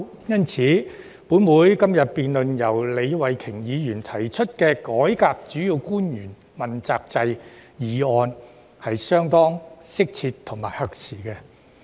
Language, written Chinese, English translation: Cantonese, 因此，本會今天討論由李慧琼議員提出的"改革主要官員問責制"議案，是相當適切和合時的。, Therefore it is rather appropriate and timely for this Council to discuss the motion on Reforming the accountability system for principal officials moved by Ms Starry LEE today